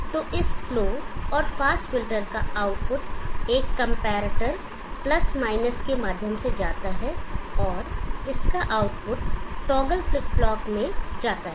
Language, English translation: Hindi, So output of this slow and fast filters go through a comparator + and output of that goes through a toggle flip flop